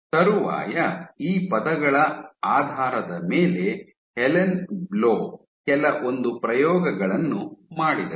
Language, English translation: Kannada, So, subsequently based on these words there was experiments done by Helan Blau